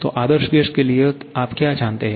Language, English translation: Hindi, So, for ideal gas what you know